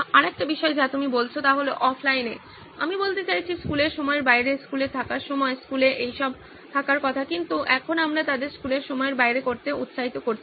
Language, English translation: Bengali, Another thing that you are saying is offline, I mean off the school hours, school is supposed to be to have all this when they are in school but now we are encouraging them to do it off the school hours